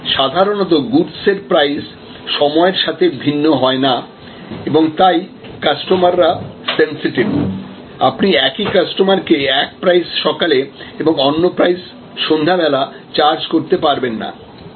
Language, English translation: Bengali, But, normally goods do not vary with respect to time and therefore, customers are sensitive, you cannot charge the same customer one price in the morning and one price in the evening